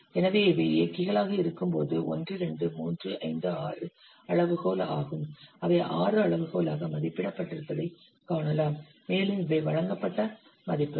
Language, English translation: Tamil, So when these are the drivers, these are the 1, 2, 6, it is rated as 6 scale and these are the values, these have been given